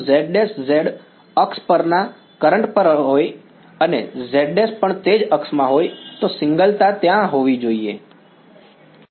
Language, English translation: Gujarati, If z prime, z is also on the current on the axis and z double prime is also in the same axis, the singularity should be there